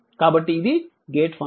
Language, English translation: Telugu, So, it is a gate function